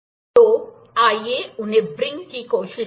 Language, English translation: Hindi, So, let us try to wring them